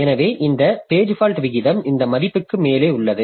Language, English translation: Tamil, So, as a result, this page fault rate will increase